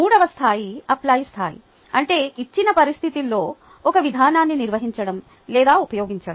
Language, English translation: Telugu, the third level is the apply level, which means carrying out or using a procedure in a given situation